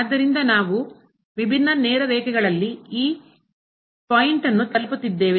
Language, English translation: Kannada, So, we are approaching to this point along different straight lines